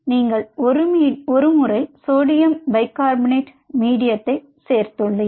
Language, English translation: Tamil, ok, a once you added the sodium bicarb medium, now you are add that